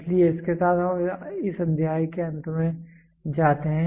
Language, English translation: Hindi, So, with this we come to an end to this chapter